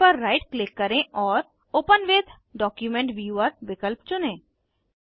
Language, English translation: Hindi, Right click on the file and choose the option Open with Document Viewer